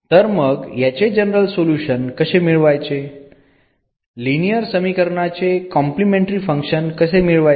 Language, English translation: Marathi, So, how to get the general solution, how to get the complementary function of this a linear equation